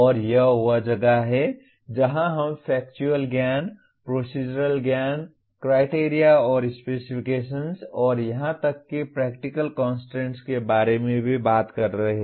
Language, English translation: Hindi, And this is where we are also talking about Conceptual Knowledge, Procedural Knowledge, Criteria and Specifications and even Practical Constraints